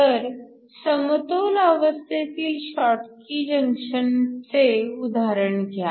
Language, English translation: Marathi, So, consider the example of a schottky junction in equilibrium